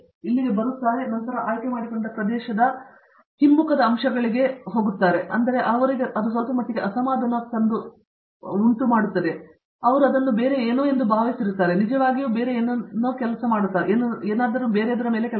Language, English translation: Kannada, So, they come here and then they are exposed to the regress aspects of the area that they have chosen and that might perhaps be little bit unsettling for them because, they thought it was something else and this is actually something else